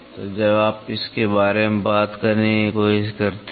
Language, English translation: Hindi, So, when you try to talk about it